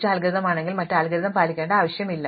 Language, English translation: Malayalam, If there were a best algorithm, there would be no need to study the other algorithms